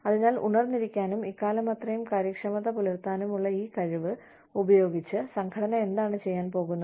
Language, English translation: Malayalam, So, what is the organization going to do, with this ability to stay awake, and be efficient, for all this time